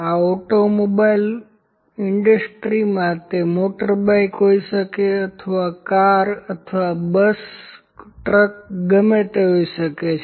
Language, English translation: Gujarati, This automobile industry just put automobile, it can be motorbike, it can be a car, or truck, bus whatever it is